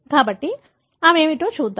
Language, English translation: Telugu, So, let us see what they are